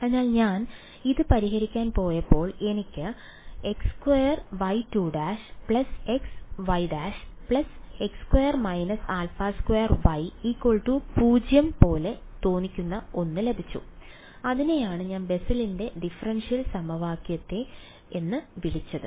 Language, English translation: Malayalam, So, when I went to solve this I got something that looked like x squared y double prime plus x y prime plus x square minus alpha squared y is equal to 0 right that was what I called Bessel’s differential equation right